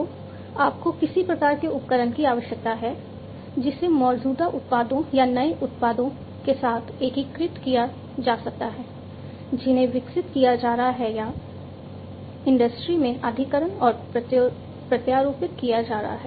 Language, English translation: Hindi, So, you need some kind of a tool which can be integrated with the existing products or the new products that are being developed or are being acquired and implanted in the industry